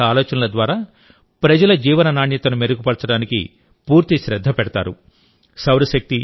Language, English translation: Telugu, In this, full attention is given to improve the quality of life of the people through various measures